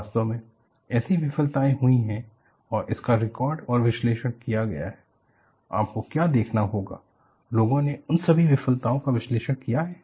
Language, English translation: Hindi, And, in fact, such failures have happened and it has been recorded and analyzed; what you will have to look at is, people have analyzed all those failures